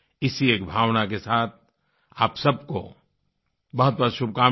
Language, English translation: Hindi, With these feelings, I extend my best wishes to you all